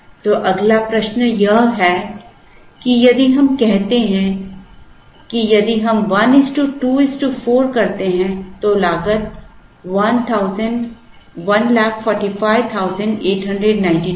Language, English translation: Hindi, So, the next question is, if we do say if we do 1 is to 2 is to 4, the cost is 145892